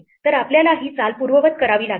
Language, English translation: Marathi, So, we have to undo this move